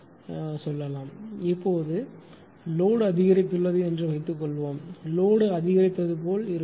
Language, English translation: Tamil, Now, suppose, now suppose the load has increased suppose load as increased